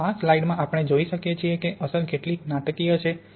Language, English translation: Gujarati, And in this slide we can see how dramatic that effect is